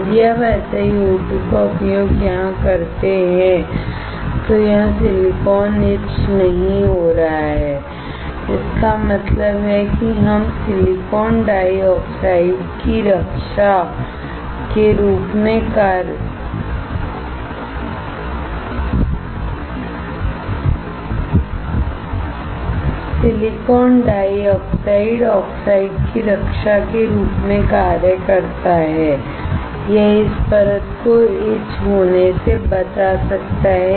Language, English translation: Hindi, If you use SiO2 here, the silicon here is not getting etch; that means, this silicon dioxide acts as protecting oxide, it can protect this layer from getting etched